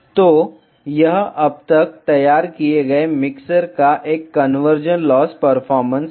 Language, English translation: Hindi, So, this is a convergent loss performance of the desired mixer so far